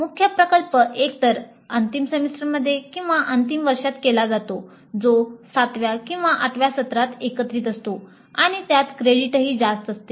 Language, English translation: Marathi, The major project is usually done either in the final semester or in the final year that is both seventh and eight semester together and it has substantial credit weightage